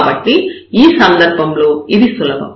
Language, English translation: Telugu, So, in this case perhaps it is possible